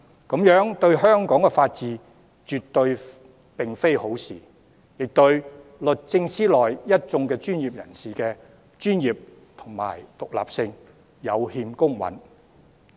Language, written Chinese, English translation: Cantonese, 這樣對香港法治並非好事，亦對律政司內一眾專業人員的專業性及獨立性有欠公允。, This is harmful to the rule of law in Hong Kong and unjust to the team of professionals working in DoJ with professionalism and independence